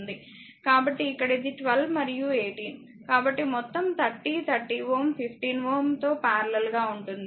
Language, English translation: Telugu, So, here it is 12 and 18; so 30 30 ohm total that is in parallel with 15 ohm right